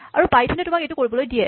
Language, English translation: Assamese, How does this work in python